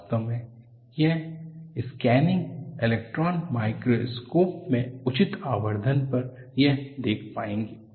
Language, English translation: Hindi, In fact, you would be able to see that, at appropriate magnification in a scanning electron microscope